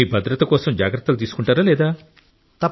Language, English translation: Telugu, But for your own safety also, do you take precautions or not